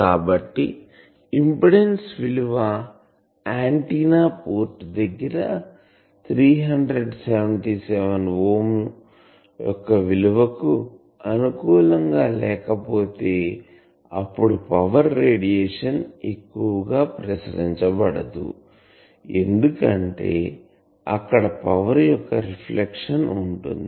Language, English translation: Telugu, So, if the impedance looking at the antenna port is not compatible to this 377 ohm, then the radiation of the power will not be radiated much there will be reflection of power